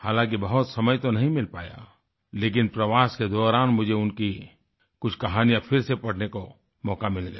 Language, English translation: Hindi, Of course, I couldn't get much time, but during my travelling, I got an opportunity to read some of his short stories once again